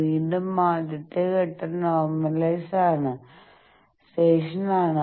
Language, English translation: Malayalam, Again the first step is the normalization